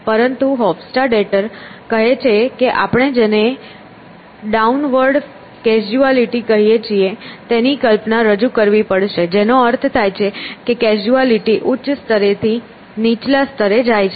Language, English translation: Gujarati, But Hofstadter says that we have to introduce a notion of what he calls as downward causality which means the causality is from a higher level to a lower level